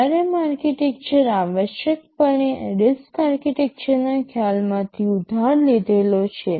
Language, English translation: Gujarati, So, ARM architecture essentially borrows the concepts from the RISC idea, from the RISC architectural concept ok